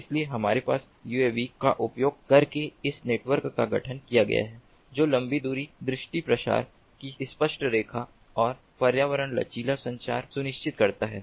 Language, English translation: Hindi, so we have this network formation done using uavs which ensure longer range, clearer line of sight, propagation and environment resilient communication